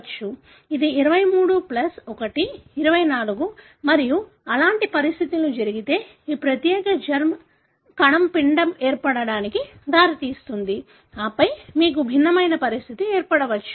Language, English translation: Telugu, It is 23 plus 1, 24 and such conditions if so happened that this particular germ cell led to the formation of the embryo, and then you may have different condition